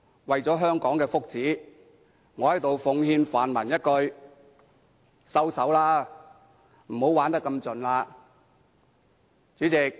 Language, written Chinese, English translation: Cantonese, 為了香港的福祉，我在此奉勸泛民一句："收手吧，不要玩得太盡。, For the sake of the well - being of Hong Kong I advise the pan - democrats to stop and do not go too far